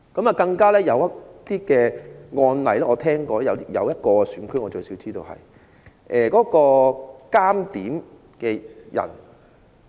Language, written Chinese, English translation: Cantonese, 我聽聞有些個案——據我所知至少有一個選區的監察點票的人......, I have heard that in some cases as far as I know the counting agents in at least one constituency